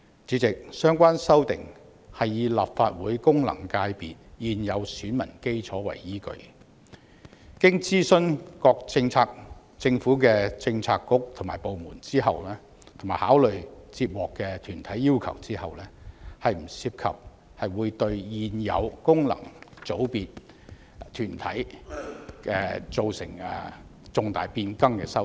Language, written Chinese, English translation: Cantonese, 主席，相關修訂是以立法會功能界別現有選民基礎為依據，經諮詢各政策局/部門，並考慮接獲的團體要求，不涉及會對現有功能界別團體造成重大變更的修訂。, President the amendments are proposed on the basis of the existing electorate of FCs of the Legislative Council in consultation with relevant bureauxdepartments and after considering requests received from individual organizations . There are no amendments that will give rise to substantial changes to existing corporates of FCs